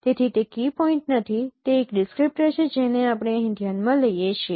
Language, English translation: Gujarati, So it is not key point, it is a descriptors which we are considering here